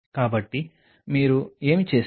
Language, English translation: Telugu, So, what all you did